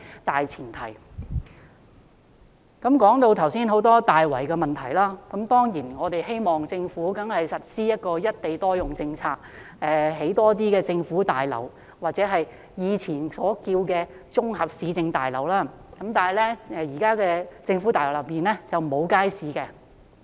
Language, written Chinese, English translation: Cantonese, 剛才提到很多大圍的問題，當然我們希望政府實施"一地多用"政策，興建更多政府大樓，或前稱綜合市政大樓，但現在的政府大樓中並沒有街市。, I talked about many problems in Tai Wai just now . Of course we hope that the Government will implement the single site multiple use policy by constructing more government buildings or what were called municipal complexes but nowadays many government buildings do not have markets